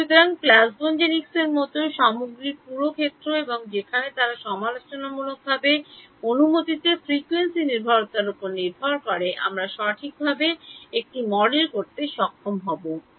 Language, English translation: Bengali, So, the entire field of things like plasmonics and all where then they critically depends on frequency dependence of permittivity needs us to be able to model it right